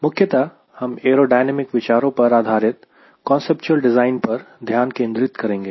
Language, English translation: Hindi, primarily, will you focusing on the conceptual design based on aerodynamic considerations